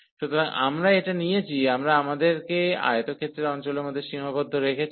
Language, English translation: Bengali, So, we have taken we have restricted our self to the rectangular region